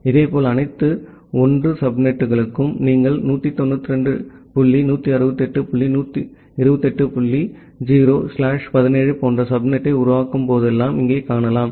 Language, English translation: Tamil, Similarly, for the all 1 subnets, here you see that whenever you are creating a subnet like 192 dot 168 dot 128 dot 0 slash 17